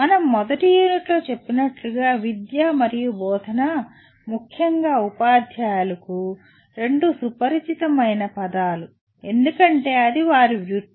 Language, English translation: Telugu, As we mentioned in the first unit, “education” and “teaching” are 2 familiar words to especially teachers because that is their profession